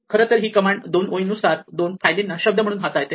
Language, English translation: Marathi, So, this treats in fact, line by line two files as a word